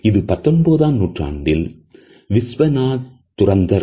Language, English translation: Tamil, This is a 19th century painting by Vishwanath Dhurandhar